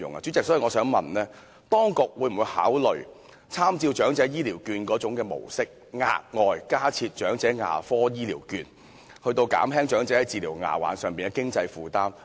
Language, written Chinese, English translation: Cantonese, 主席，我想詢問，當局會否考慮參照長者醫療券的模式，額外加設長者牙科醫療券，以減輕長者治療牙患的經濟負擔？, President may I ask the Administration whether it will consider introducing elderly dental care vouchers by drawing reference from EHCVs so as to reduce the burden of dental expenses on the elderly?